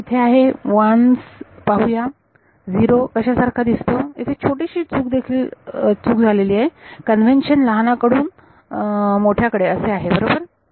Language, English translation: Marathi, So, here is 1’s let us see what is 0 looks like there is small mistake over here also the convention is from smaller to larger right